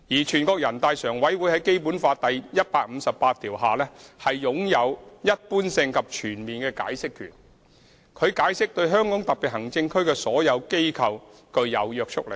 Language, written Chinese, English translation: Cantonese, 全國人大常委會在《基本法》第一百五十八條下，擁有條文的一般性及全面解釋權，其所作解釋對香港特別行政區所有機構均具有約束力。, According to Article 158 of the Basic Law NPCSC is vested with the general and comprehensive power of interpretation of the provisions of the Basic Law and its interpretation is binding on all organizations in HKSAR